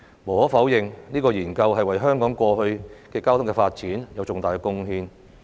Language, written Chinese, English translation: Cantonese, 無可否認，這項研究對香港過去的交通發展有重大貢獻。, Undeniably the study made great contributions to the transport development of Hong Kong in the past